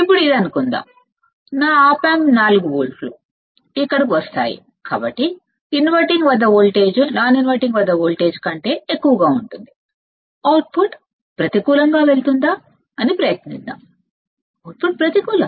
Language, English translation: Telugu, Now, this becomes; let us say because of my op amp becomes 4 volts will come here, then inverting would be greater than non inverting right voltage at inverting will be more than voltage at invert non inverting